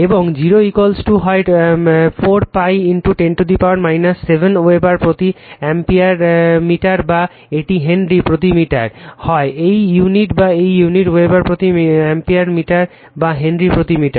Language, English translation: Bengali, And mu 0 is equal to either 4 pi into 10 to the power minus 7 Weber per ampere meter or it is Henry per meter either this unit or this unit Weber per ampere meter or Henry per meter